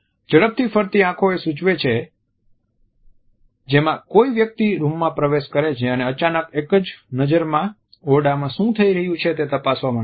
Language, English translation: Gujarati, Darting eyes suggest the gaze in which a person enters the room and suddenly wants to check at what is happening in the room in a single gaze